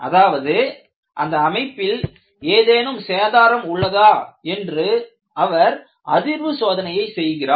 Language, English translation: Tamil, He is actually doing a vibration test to find out whether there are any structural damage